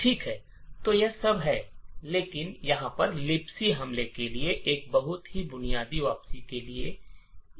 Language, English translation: Hindi, Okay, so this is all that we need for a very basic return to libc attack